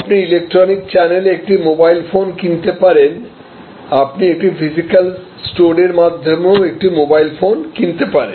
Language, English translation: Bengali, You may buy a mobile phone over the electronic channel; you can buy a mobile phone through a physical store